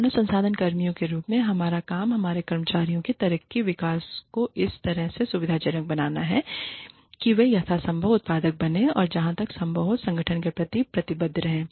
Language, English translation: Hindi, Our job, as human resources personnel, is to facilitate the growth and development of our employees, in such a way, that they become as productive as possible, and remain committed to the organization, as far as possible